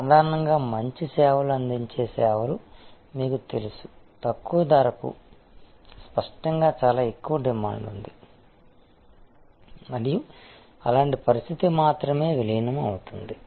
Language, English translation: Telugu, Normally, you know the services which are good services provided to the lower price; obviously, there in much higher demand and such a situation only merge